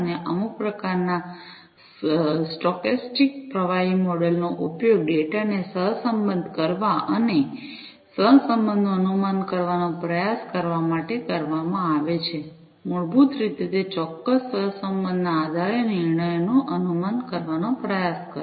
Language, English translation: Gujarati, And some kind of a stochastic fluid model is used to correlate the data and try to infer the correlation basically try to infer the decisions, based on that particular correlation